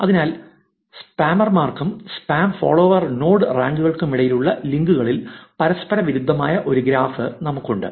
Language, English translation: Malayalam, So, fraction of reciprocated in links from spammers versus spam follower node ranks